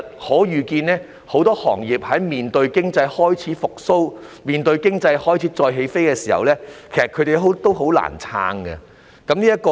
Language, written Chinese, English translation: Cantonese, 可以預見的是，在面對經濟開始復蘇、再起飛的時候，很多行業已難以撐下去。, It is foreseeable that when the economy is beginning to recover and reboot many industries can hardly stay afloat